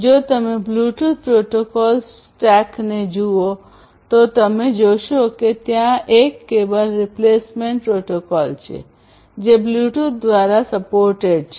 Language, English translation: Gujarati, If you look at the Bluetooth stack, protocol stack, you will see that there is a cable replacement protocol that is supported by Bluetooth